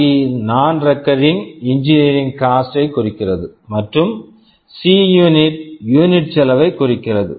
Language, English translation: Tamil, Now, talking about the NRE and unit cost, if CNRE denotes the non recurring engineering cost, and Cunit denotes the unit cost